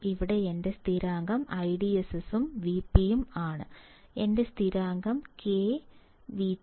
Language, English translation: Malayalam, Here my constant is I DSS and V p here my constant is K and V T